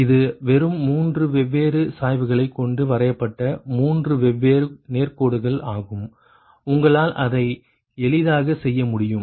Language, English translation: Tamil, three different straight lines have been drawn with three different slopes, right, and that you can easily make it